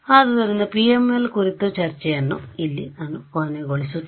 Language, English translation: Kannada, So, that brings us to an end of the discussion on PML